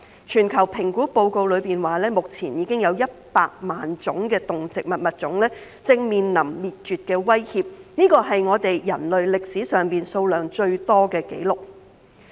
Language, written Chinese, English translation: Cantonese, 全球評估報告指，目前已經有100萬種的動植物物種正面臨滅絕的威脅，這是人類歷史上數量最多的紀錄。, As pointed out in a global assessment report1 million animal and plant species are currently threatened with extinction and the number is unprecedented in human history